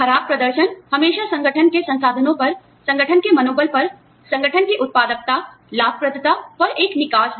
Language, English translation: Hindi, Poor performance is always, a drain on the organization's resources, on the organization's morale, on the organization's productivity, profitability